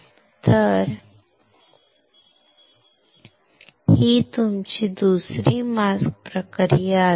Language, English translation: Marathi, So, that will be your second mask process